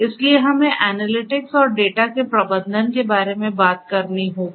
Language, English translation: Hindi, So, we have to talk about the analytics and the management of the data